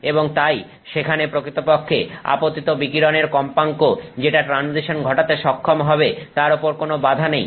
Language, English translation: Bengali, And therefore there is no real restriction on the frequency that needs that the incoming radiation needs to have to enable a transition